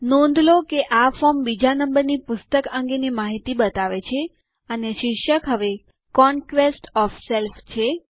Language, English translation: Gujarati, Notice that the form shows the second books information and the title is now Conquest of self